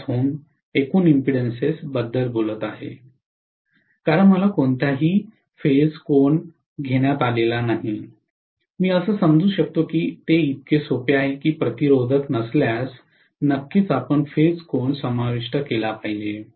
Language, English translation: Marathi, 5 ohms here, because I am not taken any phase angle I can assume that it is the resistible as simple as that, if it is not resistive definitely you should having included the phase angle, right